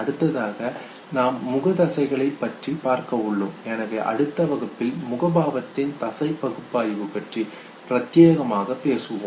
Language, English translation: Tamil, Now that we have come to facial muscles now, so in our next lecture we would exclusively we talking about the musculature analysis of facial expression